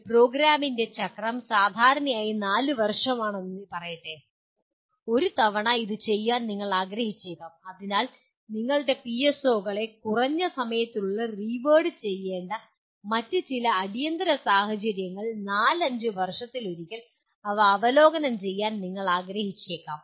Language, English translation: Malayalam, You may want to do it once in let us say one cycle generally of a program is four years, so you may want to review them once in 4 years unless there is some other urgency that requires to reword your PSOs in a lesser time period